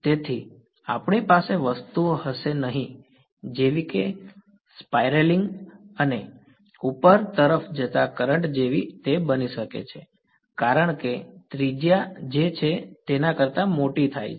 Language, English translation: Gujarati, So, we are not going to have things like a current that is spiraling and moving up right, that may happen as the radius becomes bigger then as happening